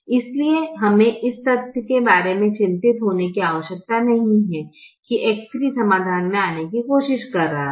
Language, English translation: Hindi, therefore, we need not be worried about the fact that x three is trying to come into the solution